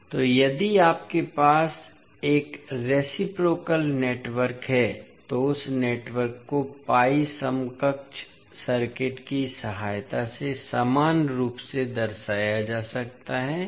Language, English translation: Hindi, So, if you have a reciprocal network, that network can be represented equivalently with the help of pi equivalent circuit